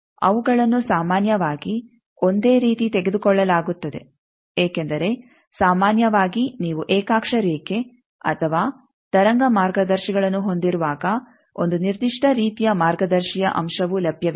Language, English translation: Kannada, They are generally taken as same because generally with a when you have either coaxial line or wave guides a particular type of guide element is available